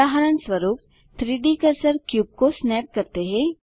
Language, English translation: Hindi, For example, let us snap the cube to the 3D cursor